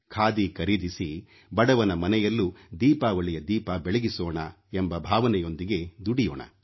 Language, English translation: Kannada, We should follow the spirit of helping the poor to be able to light a Diwali lamp